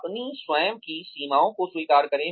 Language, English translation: Hindi, Recognize your own limitations